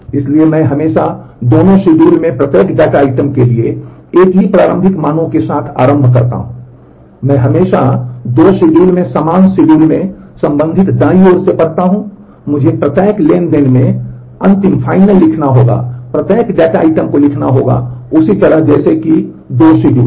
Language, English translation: Hindi, So, I always initialize start with the same initial values for every data item in both schedules, I always read from the corresponding right in the same schedule in the 2 schedules and, I must write the final in every transaction every data item must be written in the same way in the 2 schedules